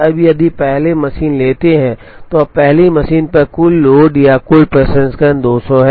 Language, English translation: Hindi, Now, if we take the first machine, now the total load or total processing on the first machine itself is 200